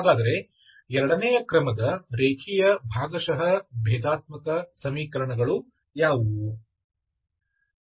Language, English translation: Kannada, second order linear partial differential equation